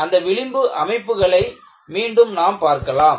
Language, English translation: Tamil, We will see those fringe patterns again